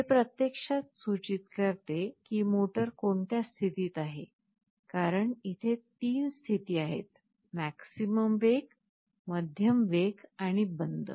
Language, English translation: Marathi, It actually indicates in which state the motor is in, because there can be 3 states, maximum speed, medium speed and off